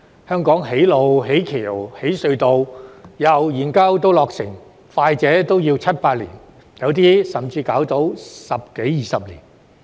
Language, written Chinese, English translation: Cantonese, 香港建路、架橋、挖隧道，由研究至落成，快者也要七八年，有些甚至要花上十多二十年。, From deliberation to project completion the construction of roads bridges and tunnels in Hong Kong will take seven to eight years at the quickest and in some cases it may even take some 10 to 20 years